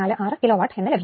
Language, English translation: Malayalam, 746 kilo watt